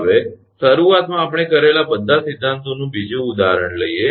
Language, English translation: Gujarati, Now, take another example all the theories initially we have done